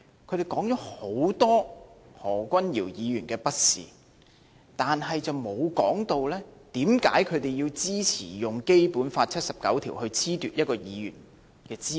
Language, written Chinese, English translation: Cantonese, 他們說了很多何君堯議員的不是，但卻沒有說為甚麼他們支持用《基本法》第七十九條來褫奪一位議員的資格。, They blamed Dr Junius HO a lot but did not mention why they support using Article 79 of the Basic Law to disqualify a Member